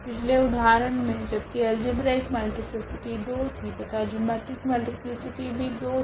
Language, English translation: Hindi, In the previous example though the algebraic multiplicity was 2 and the geometric multiplicity was also 2